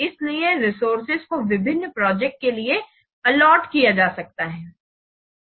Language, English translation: Hindi, So accordingly accordingly, the resources can be allocated to different projects